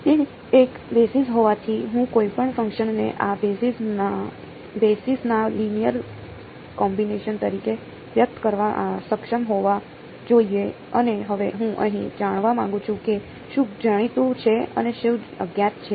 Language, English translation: Gujarati, Since it is a basis I should be able to express any function as a linear combination of these basis right and now I want to find out what is known and what is unknown here